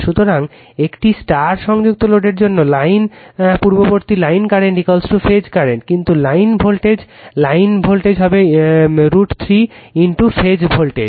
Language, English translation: Bengali, So, for a star connected load, line I told you earlier line current is equal to phase current, but your line voltage right line voltage will be root 3 times phase voltage